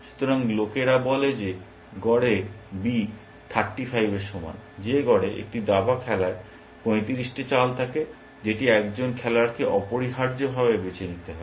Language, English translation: Bengali, So, people say that on the average b is equal to 35, that on the average, a chess game has 35 moves, that a player has a choose from essentially